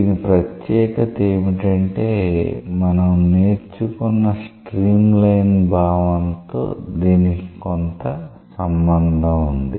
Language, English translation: Telugu, The speciality is that it has some relationship with the concept of stream line that we have learnt